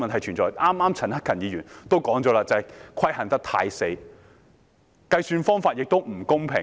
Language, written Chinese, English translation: Cantonese, 陳克勤議員剛才也指出這些規限太僵硬，計算方法也並不公平。, Mr CHAN Hak - kan also pointed out just now that the restrictions are too fossilized and the calculation method unfair